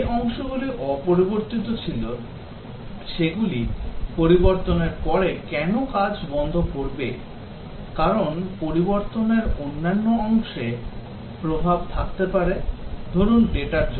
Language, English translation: Bengali, Why will the parts that were unchanged stop working after a change, because a change might have influence on other parts due to say at data